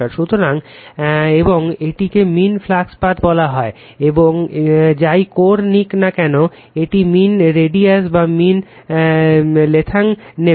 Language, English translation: Bengali, So, and this is you call mean flux path whatever core will take, we will take the your what you call the mean radius or mean length